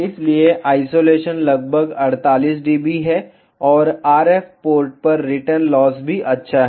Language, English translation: Hindi, So, the isolation is around 48 dB and the return loss is also good at the RF port